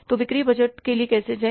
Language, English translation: Hindi, So, how to go for the sales budget